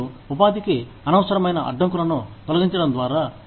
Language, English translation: Telugu, So, you remove, the unnecessary barriers to employment